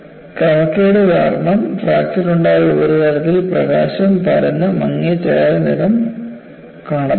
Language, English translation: Malayalam, And because of the irregularity, the fracture surface diffuses the light and looks dull grey